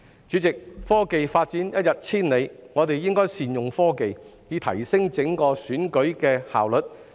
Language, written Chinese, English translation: Cantonese, 主席，科技發展一日千里，我們應該善用科技，以提升整個選舉的效率。, Chairman in view of the rapid development in technology we should make the best of technology in enhancing the efficiency of election as a whole